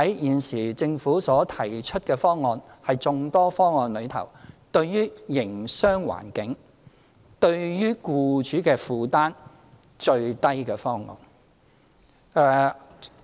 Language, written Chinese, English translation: Cantonese, 現時政府所提出的方案，是在眾多方案中對營商環境影響最小，對僱主帶來最低負擔的一個。, The option identified by the Government from many options at present is the one which will have the least impact on the business environment and bring the least burden on employers